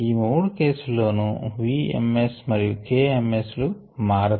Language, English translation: Telugu, and in these three cases the v ms and k ms change